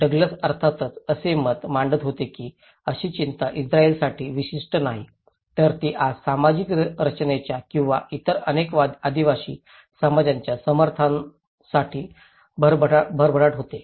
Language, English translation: Marathi, Douglas was, of course, arguing that such concerns are not unique to the Israelis but thrive today in support of social structure or many other tribal societies